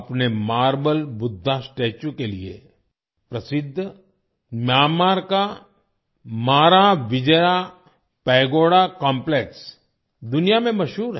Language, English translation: Hindi, Myanmar’s Maravijaya Pagoda Complex, famous for its Marble Buddha Statue, is world famous